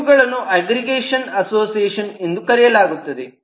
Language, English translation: Kannada, there are known as aggregation association